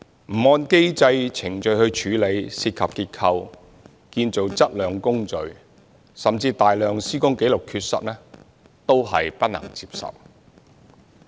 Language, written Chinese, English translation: Cantonese, 不按機制程序處理涉及結構、建造質量的工序，甚至大量施工紀錄的缺失，都是不能接受的。, The failure to proceed with activities relating to structural elements and the quality of construction in accordance with the mechanisms and procedures or even the missing of a large quantity of construction records is unacceptable